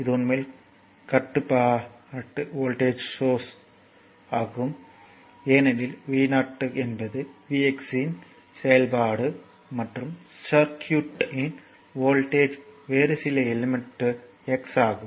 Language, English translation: Tamil, So, this is actually called voltage controlled voltage source, because this v 0 is function of this voltage across some other element in the circuit say x